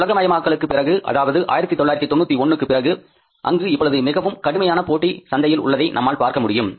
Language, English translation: Tamil, After this globalization, after 1991, now you see that there is a stiff competition in the market, even in the steel sector